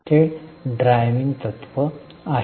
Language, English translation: Marathi, That's the driving principle